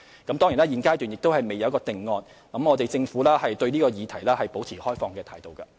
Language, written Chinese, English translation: Cantonese, 當然，現階段尚未有定案，而政府對這議題保持開放態度。, Of course no conclusion has yet been reached at this stage and the Government is open on this issue